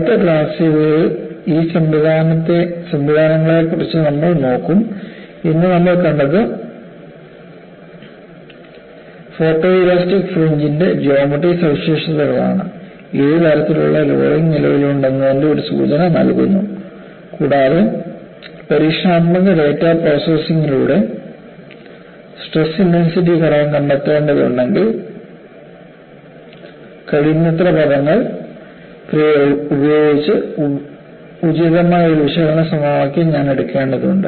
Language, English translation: Malayalam, In fact we would look at these mechanisms in the next class and what we saw today was the geometric features of the photoelastic fringe, gives you an indication of what kind of loading that exist and I also pointed out, if I have to find out stress intensity factor by processing experimental data, I need to take an appropriate analytical equation with as many terms as possible